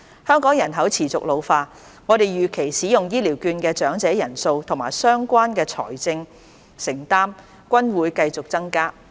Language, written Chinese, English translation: Cantonese, 香港人口持續老化，我們預期使用醫療券的長者人數和相關的財政承擔均會繼續增加。, With Hong Kongs ageing population we expect that both the number of elders who use the vouchers and the related financial commitment will continue to increase